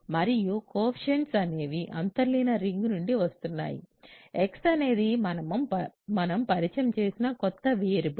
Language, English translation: Telugu, So, and the coefficients are coming from the underlying ring x is just a new variable that we have introduced